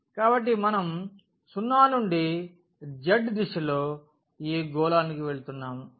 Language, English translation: Telugu, So, we are moving from 0 in the direction of z to that sphere